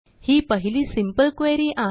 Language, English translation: Marathi, So there is our first simple query